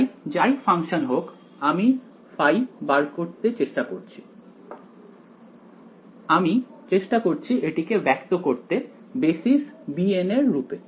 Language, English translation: Bengali, So, whatever function I am trying to find out phi, let me try to express it in the basis of b n ok